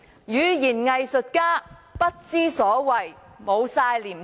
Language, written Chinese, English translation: Cantonese, 語言"偽術家"不知所謂，完全沒有廉耻。, He as a person who loves playing with words is absolutely nonsense for he feels no shame at all